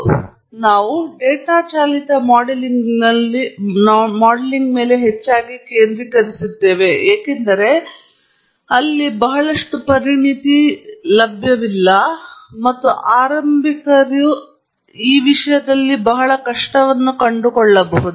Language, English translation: Kannada, As I said, a few moments earlier, we will largely focus on data driven modelling because that’s where a lot of expertise is not available or lot of beginners find it very difficult